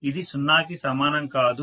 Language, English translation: Telugu, It is not equal to 0